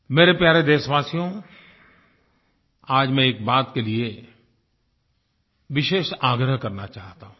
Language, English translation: Hindi, My dear countrymen, today I want to make a special appeal for one thing